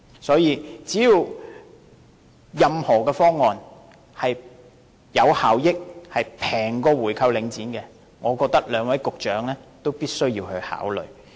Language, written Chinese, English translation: Cantonese, 所以，任何方案只要是有效益和較購回領展便宜的，我覺得兩位局長也必須考慮。, Therefore I think both Directors of Bureau must take into consideration any proposal which is effective and less expensive than buying back Link REIT